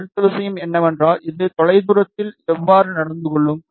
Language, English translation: Tamil, The next thing is how will it behave in far field